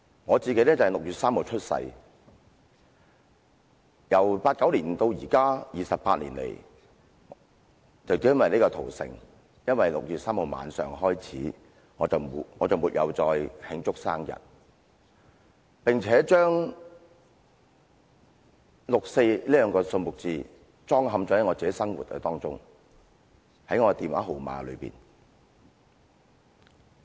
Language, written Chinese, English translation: Cantonese, 我在6月3日出生，自1989年至今的28年來，因為6月3日晚上屠城開始，我就沒有再慶祝生日，並且把"六四"這兩個數字鑲嵌在自己的生活之中，即是我的電話號碼。, I was born on 3 June . During the 28 years since 1989 I have refrained from celebrating my birthday because the night of 3 June was the time when the massacre began . And I have even embedded the two digits of six and four into my daily life and included them as part of my telephone number